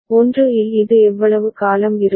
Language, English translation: Tamil, And how long will it remain in 1